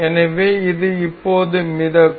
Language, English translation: Tamil, So, this will be floating now from now